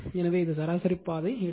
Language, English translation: Tamil, So this, mean path will take